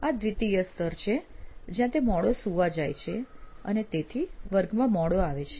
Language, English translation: Gujarati, So this is the level 2 where he is late to go to sleep and he is late to class